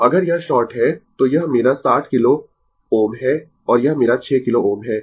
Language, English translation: Hindi, So, if this is sort, then this is my 60 kilo ohm and this is my 6 kilo ohm right